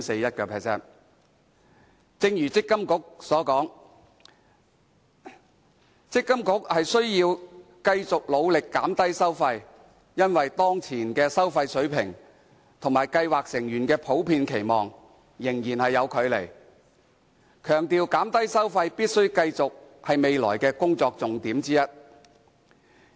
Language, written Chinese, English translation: Cantonese, 正如強制性公積金計劃管理局所說，積金局須要繼續努力減低收費，因為當前的收費水平與計劃成員的普遍期望仍有距離，強調減低收費必須繼續是未來的工作重點之一。, As stated by the Mandatory Provident Fund Schemes Authority MPFA the MPFA has to continue its efforts in reducing fees as there is still a gap between the existing fee levels and the general expectation of scheme members . Reducing fees must remain one of the priorities in the future